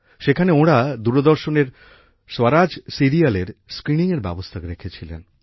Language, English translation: Bengali, There, they had organised the screening of 'Swaraj', the Doordarshan serial